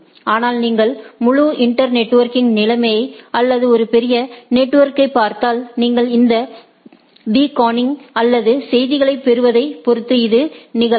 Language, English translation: Tamil, But, if you look at the whole internetworking situation or a large network so, this can very much happen based on than when you are receiving this beaconing or the messages etcetera